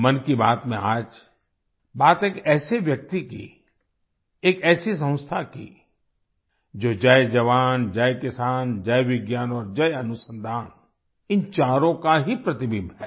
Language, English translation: Hindi, In 'Mann Ki Baat', today's reference is about such a person, about such an organization, which is a reflection of all these four, Jai Jawan, Jai Kisan, Jai Vigyan and Jai Anusandhan